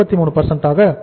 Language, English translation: Tamil, 33 and this is the 30